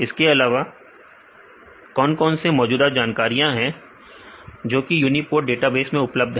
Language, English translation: Hindi, Also what are the current information which are available in uniprot database